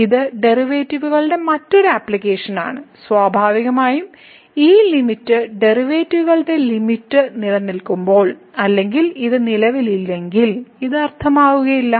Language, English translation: Malayalam, So, it is a another application of the derivatives and naturally when this limit the limit of the derivatives exist, otherwise this does not make sense if the this does not exist